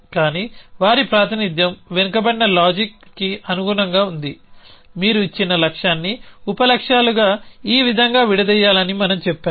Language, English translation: Telugu, But they the representation was tailor to backward reasoning that we said that this is how you decompose a given goal into sub goals